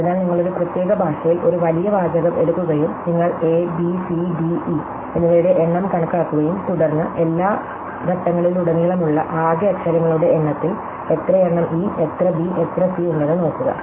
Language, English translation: Malayalam, So, you take a large body of text in a particular language and you count the number of aÕs bÕs cÕs dÕs and eÕs, and then you just look at the fraction, out of the total number of letters across all the steps, how many are eÕs, how many bÕs, how many are cÕs